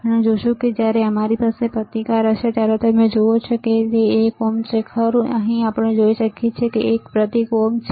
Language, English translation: Gujarati, We will see when we have this resistance you see there is a ohms, right, here we can see there is a symbol ohm